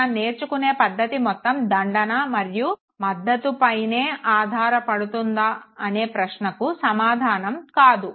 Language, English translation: Telugu, Is it that our entire learning is based on punishment and reinforcement